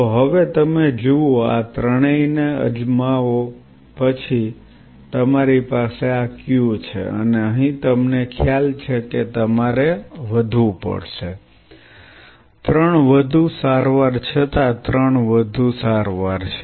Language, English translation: Gujarati, So, now you see try all this three then you have this Q and here you realize you have to increase, three more treatment though three more treatments are